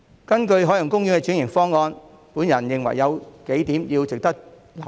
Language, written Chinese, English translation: Cantonese, 根據海洋公園的轉型方案，我認為有幾點值得留意。, I think there are several points worth noting in the transformation plan of the Ocean Park